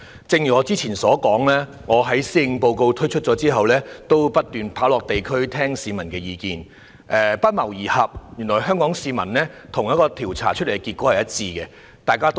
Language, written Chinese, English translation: Cantonese, 正如我之前說過，我在施政報告發表後不斷落區聆聽市民的意見，發現原來香港市民的意見與一項調查結果不謀而合。, As I have said before after the delivery of the Policy Address I have visited local districts from time to time to listen to public views . I found that the views of Hong Kong people do match with the findings of a survey